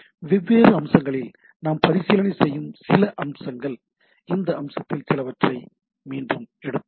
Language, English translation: Tamil, Some of the aspects we will be revisiting rather in different cases we will be again picking up some of this aspect